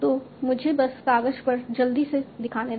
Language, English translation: Hindi, So, let me just show it quickly on the paper